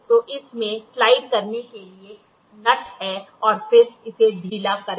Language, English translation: Hindi, So, it has a nut to slide and then loosen it